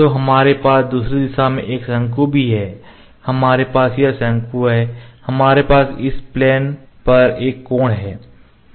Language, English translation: Hindi, So, also we have a cone in the other direction we have this cone here, we have this surface at an angle this surface this surface